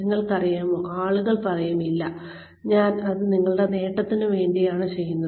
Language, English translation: Malayalam, And you know, people will say, no no, I am doing this for your benefit